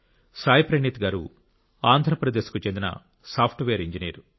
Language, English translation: Telugu, Saayee Praneeth ji is a Software Engineer, hailing from Andhra Paradesh